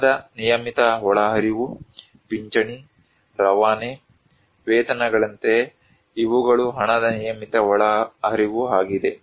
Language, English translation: Kannada, Regular inflow of money: like pensions, remittance, wages, these are the regular inflow of money